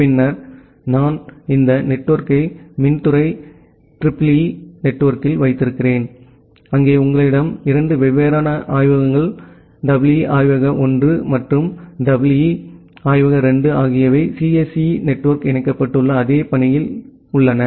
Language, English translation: Tamil, And then I have this network at the electrical department EEE network, there you we have 2 different labs, EE lab 1 and EE lab 2 in the similar fashion that the CSE network is connected